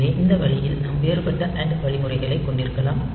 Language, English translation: Tamil, So, this way we can have different and logical instruction